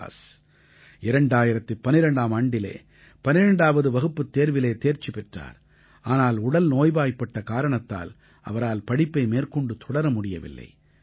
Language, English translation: Tamil, Fiaz passed the 12thclass examination in 2012, but due to an illness, he could not continue his studies